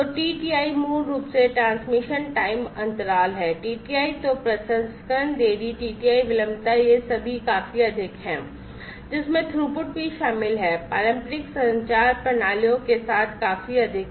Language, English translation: Hindi, So, TTI is basically transmission time interval, TTI then the processing delay processing delay TTI latency these are all quite high, the including the throughput is also quite high, with the traditional communication systems